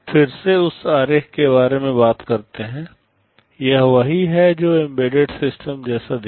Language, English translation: Hindi, Again talking about that diagram, this is what embedded system looks like